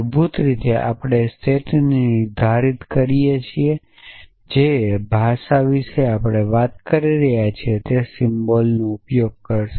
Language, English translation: Gujarati, So, basically a set we define a set and the language that we are talking about will use those symbols essentially